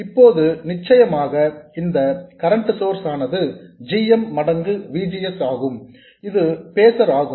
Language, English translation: Tamil, Now this current source of course is GM times VGS which is the phaser